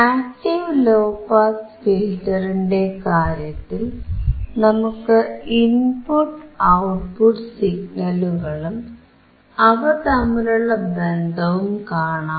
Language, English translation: Malayalam, In case of active low pass filter, we can see the input signal and output signal; and the relation between them